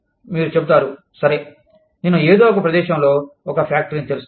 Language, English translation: Telugu, You will say, okay, i will open a factory, in some location